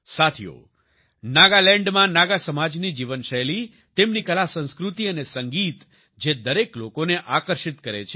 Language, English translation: Gujarati, Friends, the lifestyle of the Naga community in Nagaland, their artculture and music attracts everyone